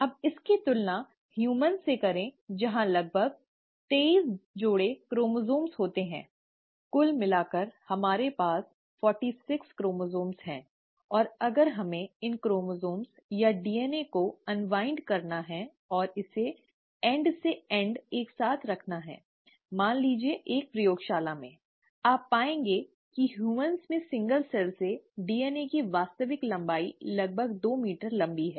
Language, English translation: Hindi, Now compare this to humans where would have about twenty three pairs of chromosomes, in total we have forty six chromosomes, and if we were to unwind these chromosomes, or the DNA and put it together end to end in, let’s say, a lab, you will find that the actual length of DNA from a single cell in humans is probably two meters long